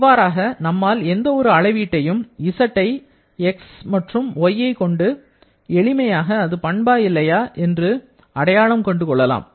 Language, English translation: Tamil, This way we can identify any parameter once we know the relation of this Z with x and y, then we can easily identify it is a property or not